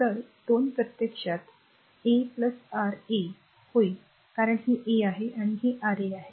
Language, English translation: Marathi, So, R 1 2 will become actually R 1 plus R 3 because this is R 1 and this is R 3 right